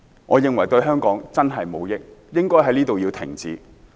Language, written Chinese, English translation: Cantonese, 我認為這對香港的確無益，應該在此停止。, I think it will really do Hong Kong no good and we should stop it now